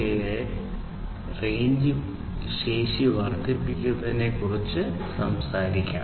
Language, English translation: Malayalam, 4a, which talks about increasing the range capability